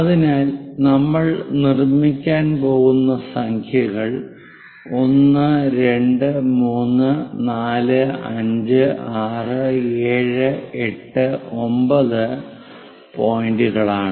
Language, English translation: Malayalam, So, the numbers what we are going to make is 1, 2, 3, 4, 5, 6, 7, 8, 9 points